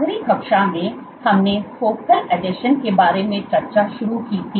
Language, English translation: Hindi, So, in the last class we started discussing about focal adhesions